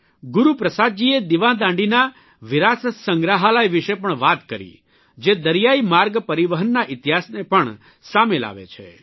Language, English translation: Gujarati, Guru Prasad ji also talked about the heritage Museum of the light house, which brings forth the history of marine navigation